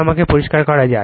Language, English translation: Bengali, Let me clear it